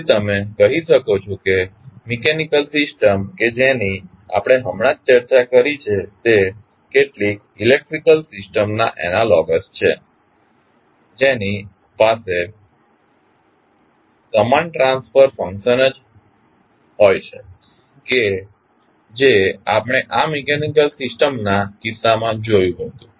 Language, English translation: Gujarati, So, you can say that mechanical system which we just discussed is analogous to some electrical system which have the same transfer function as we saw in case of this mechanical system